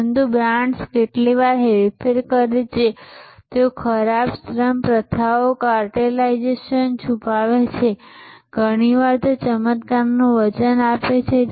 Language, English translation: Gujarati, But, brands are sometimes manipulative they hide bad labour practices cartelization they often promise miracles